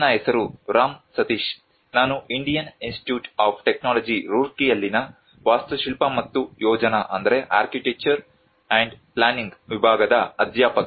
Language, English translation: Kannada, My name is Ram Sateesh, I am a faculty from department of architecture and planning, Indian Institute of Technology Roorkee